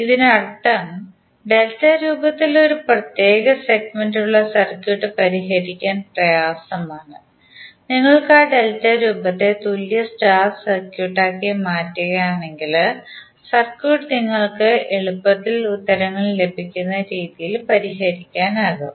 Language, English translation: Malayalam, It means that the circuit which has 1 particular segment in delta formation and it is difficult to solve, you can convert that delta formation into equivalent star and then you can solve the circuit which is more convenient to get the answers